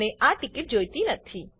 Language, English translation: Gujarati, I dont want this ticket